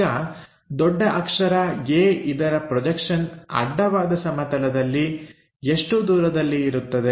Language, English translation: Kannada, Now, projection of a capital A on to horizontal plane gives us this distance